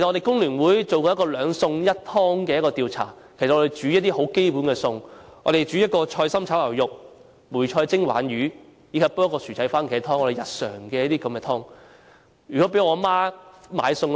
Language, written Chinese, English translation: Cantonese, 工聯會曾進行一個兩餸一湯的調查，我們煮一些基本餸菜，一碟菜心炒牛肉、梅菜蒸鯇魚及薯仔蕃茄湯，這種日常餸菜。, The Hong Kong Federation of Trade Unions once conducted a survey on the price of two dishes and one soup . We made some basic home - cooking dishes a stir - fried vegetable with beef a steamed fish with preserved cabbage and a potato and tomato soup